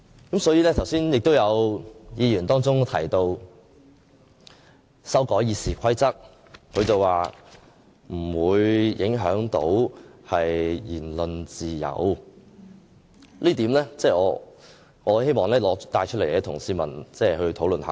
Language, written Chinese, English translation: Cantonese, 剛才亦有議員提到修改《議事規則》不會影響言論自由，我希望就這一點與市民討論。, Just now some Members have said that amending the RoP will not affect freedom of speech . I would like to discuss this with the people